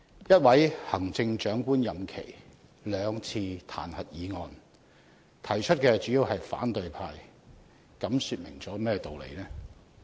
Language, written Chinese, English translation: Cantonese, 一位行政長官的任期內有兩次彈劾議案，而提出議案的主要是反對派，這說明了甚麼道理呢？, Two impeachment motions were initiated within the tenure of a chief executive and both motions were initiated mainly by the opposition Members . What does this imply?